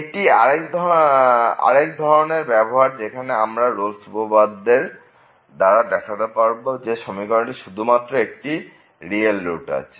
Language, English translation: Bengali, So, this is another kind of application which where we can use the Rolle’s Theorem to show that this equation has exactly one real root